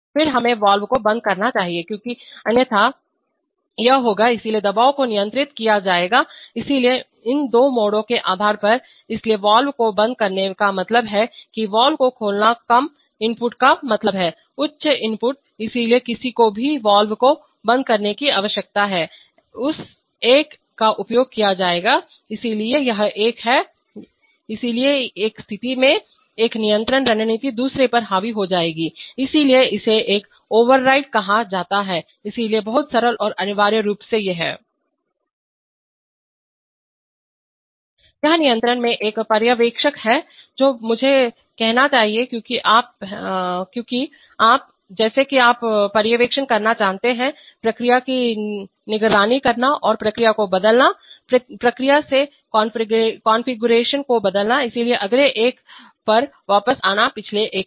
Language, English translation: Hindi, Then also we should close the valve because otherwise it will, so the pressure will be controlled, so in a depending on these two modes so closing the valve means a lower input opening the valve means higher input, so whichever one needs to close the valves that one will be used, so this is, so one in one situation, one control strategy will override over the other, so that is, why it is called an override one, so very simple and essentially these are, This is a supervisor in control I should say because you are, because this is more like you know supervising, the supervising the process and changing the, changing the configuration of the process, so coming back to the next one the last one that is